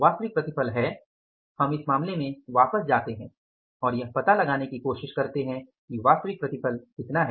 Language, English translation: Hindi, Actual yield is given to us and the actual yield is let us go back to the case and try to find out what is actual yield